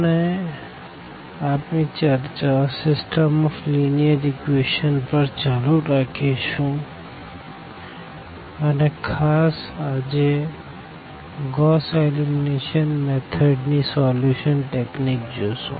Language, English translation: Gujarati, We will be continuing our discussion on System of Linear Equations and in particular, today we will look for the solution techniques that is the Gauss Elimination Method